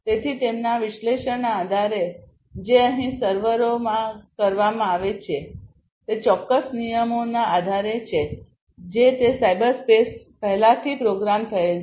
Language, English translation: Gujarati, So, based on their analysis that is performed in the servers over here maybe based on certain rules etcetera that are already pre programmed in those you know cyber spaces